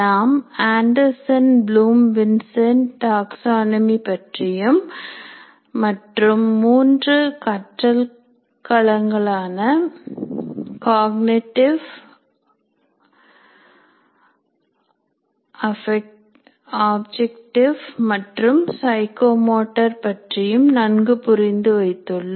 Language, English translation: Tamil, And we also understood the Anderson Bloom, Vincenti taxonomy and the three domains of learning, namely cognitive, affective and psychomotor domains of learning